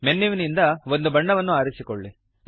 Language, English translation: Kannada, Choose a colour from the menu